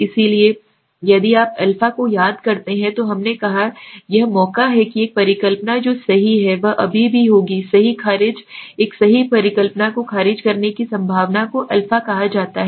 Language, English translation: Hindi, So if you remember a we said this is the chance that a hypothesis which is correct is will be still rejected right a chances of rejecting a true hypothesis is called a